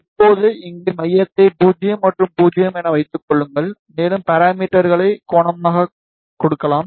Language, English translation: Tamil, Now, see here just keep center as 0, and 0, and maybe give the parameter as angle